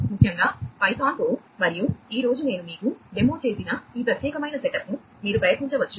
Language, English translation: Telugu, particularly with python and you can try out this particular setup that I have demoed you today